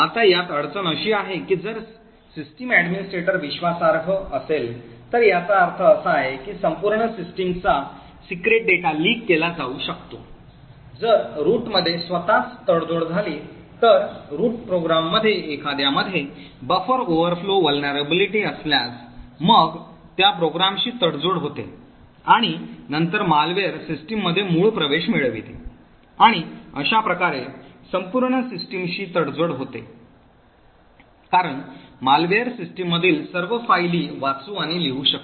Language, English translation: Marathi, Now the problem with this is that if the system administrator is an trusted then it means that the entire systems secret data can be leaked, further if the root itself gets compromised for example if there is a buffer overflow vulnerability in one of the root programs, then that program gets compromised and then the malware gets root access to the system and thus compromises the entire system because the malware can read and write to all files in the system